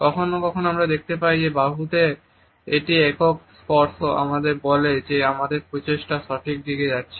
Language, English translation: Bengali, Sometimes we find that a single touch on the forearm tells us that our efforts are moving in the correct direction